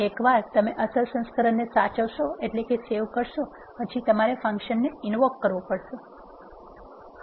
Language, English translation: Gujarati, Once you save the original version also you have to invoke the function before you use